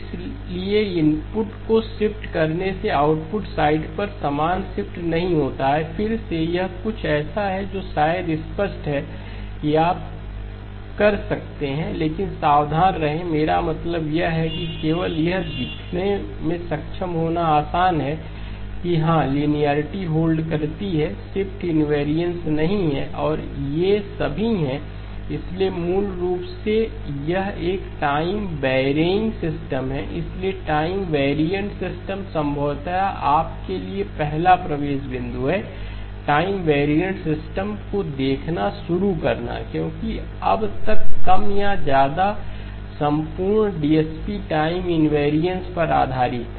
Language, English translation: Hindi, So shifting the input does not produce the same shift on the output side, again it is something that is probably obvious that you can but be careful I mean also just be comfortable to be able to show that yes linearity holds, the shift invariance does not hold and these are all, so basically this is a time varying system, so time variant system, probably the first entry point for you to start looking at time variant systems because up to now more or less the entire DSP was based on time invariance